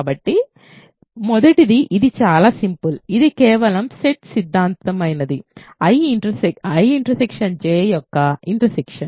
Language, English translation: Telugu, So, the first one is the, it is a very simple one it is just set theoretic is the intersection of I and J